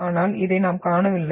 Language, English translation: Tamil, But we do not see this